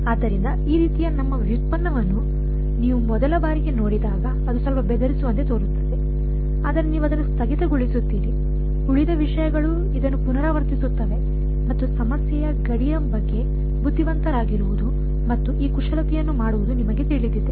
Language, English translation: Kannada, So, the first time you see this kind of our derivation its seem to little intimidating, but you get the hang of it, rest of the stuff is just repeating this in you know being clever about the boundary of the problem and just doing this manipulation